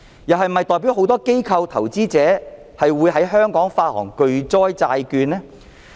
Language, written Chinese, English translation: Cantonese, 是否代表很多機構、投資者會在香港發行巨災債券？, Does it mean that many institutions and investors will issue catastrophe bonds in Hong Kong?